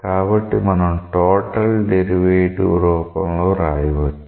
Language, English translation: Telugu, So, we may write it in terms of the total derivative